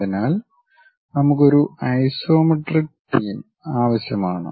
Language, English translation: Malayalam, So, one of the axis we need isometric theme